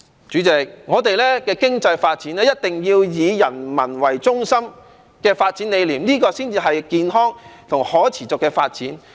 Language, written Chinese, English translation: Cantonese, 主席，我們的經濟發展一定要以人民為中心，這個發展理念才能達致健康和可持續發展。, President our economic development must be people - oriented so that this development concept can be taken forward healthily and sustainably